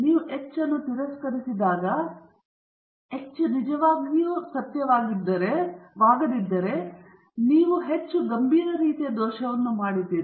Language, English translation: Kannada, When you reject H naught, when H naught is actually true, then you have made a more serious type I error